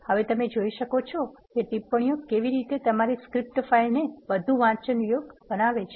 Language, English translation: Gujarati, Now you can see how commenting makes your script file more readable